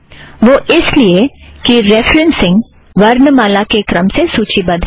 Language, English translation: Hindi, Note that these references are also listed alphabetically